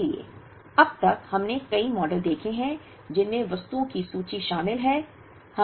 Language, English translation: Hindi, So, far we have seen several models that involved inventory of items